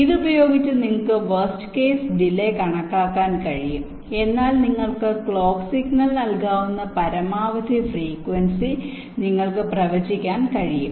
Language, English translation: Malayalam, using this you can estimate the worst is delays, and hence you can predict the maximum frequency with which you can feed the clock clock signal